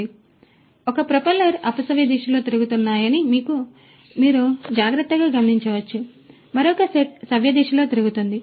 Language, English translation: Telugu, And, as you can also notice carefully that the one set of propellers is rotating counterclockwise the other set is rotating clockwise